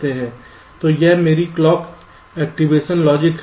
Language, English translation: Hindi, so this is my clock activation logic